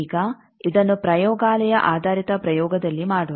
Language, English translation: Kannada, Now let us do this that in a laboratory based experiment